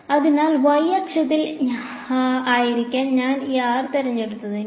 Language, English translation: Malayalam, So, if I chose this r to be along the y axis